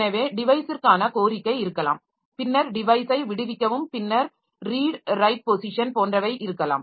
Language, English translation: Tamil, So, there may be request for device, then release a device, then read, write, reposition